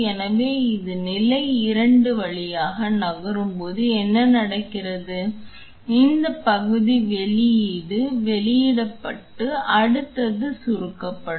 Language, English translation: Tamil, So, what happens is as it moves through the stage 2, this portion release gets released and the next one gets compressed